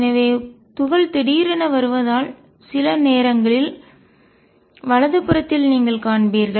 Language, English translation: Tamil, So, as the particle has coming in suddenly you will find the sometimes is found on the right hand side